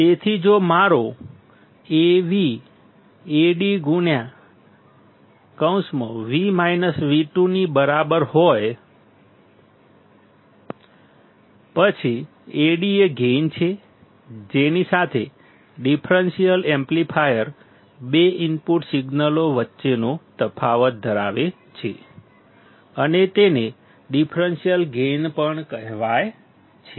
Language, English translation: Gujarati, So, if my Vo equals to Ad into V1 minus V2; then Ad is gain with which the differential amplifier, amplifies the difference between two input signals and it is also called as the differential gain